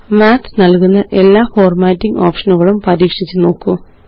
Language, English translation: Malayalam, Feel free to explore all the formatting options which Math provides